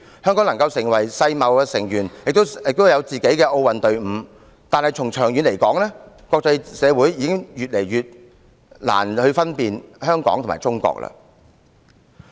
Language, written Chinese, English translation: Cantonese, 香港能成為世界貿易組織成員，也擁有自己的奧運隊伍，但從長遠來說，國際社會已越來越難分辨香港和中國了。, Hong Kong can keep its membership in the World Trade Organization and has its own Olympic team . But in the long run it is increasingly difficult for the international community to distinguish between Hong Kong and China